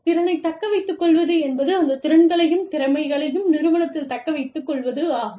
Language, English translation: Tamil, Retaining competence retention deals with, retaining those skills, and competencies in the organization